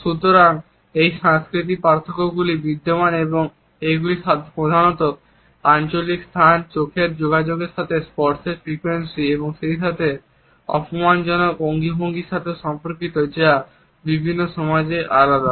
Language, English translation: Bengali, So, these cultural differences do exist and they mainly exist in relation to territorial space, eye contact the frequency of touch as well as the insulting gestures which are different in different societies